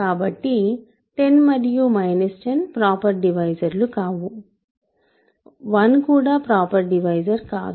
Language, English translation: Telugu, So, 10 and minus 10 are not proper divisors, 1 is not a proper divisor